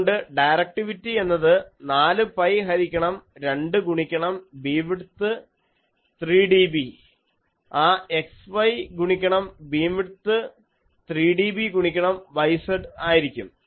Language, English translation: Malayalam, So, directivity will be 4 pi divided by 2 into beam width 3 dB that x y into beam width 3 dB into y z, so that if you do, it comes to 8